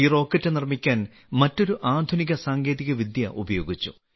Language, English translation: Malayalam, Another modern technology has been used in making this rocket